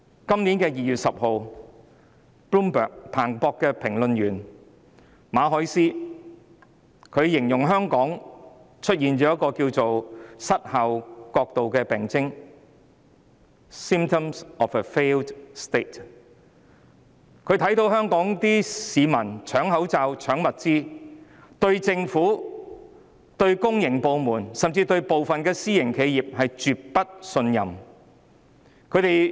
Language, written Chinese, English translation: Cantonese, 今年2月10日 ，Bloomberg 的評論員馬凱斯形容香港出現了名為失效國度的病徵，她看到香港市民搶口罩、搶物資，對政府、對公營部門，甚至對部分私營企業也絕不信任。, On 10 February this year Clara Ferreira MARQUES a commentator of Bloomberg described Hong Kong as showing symptoms of a failed state . She saw the people of Hong Kong scrambling for face masks and panic buying . They simply did not trust the Government public organizations and even some private enterprises